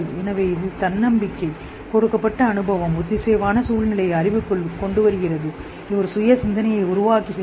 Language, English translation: Tamil, So it brings to self reflection the given experience within a coherent situated knowledge